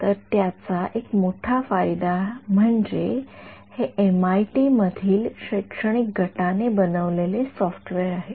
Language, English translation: Marathi, So, one big advantage of it is a software made by a academic group at MIT